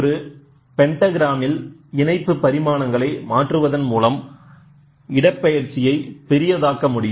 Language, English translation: Tamil, So, example like a pentagram in a pentagram the dimensions the linked by changing the link dimensions you can magnify the displacement